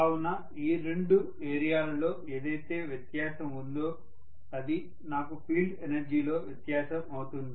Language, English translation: Telugu, So these two areas whatever is the difference that is going to be my difference in the field energy